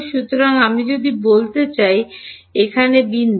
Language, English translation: Bengali, So, if I want to tell here the point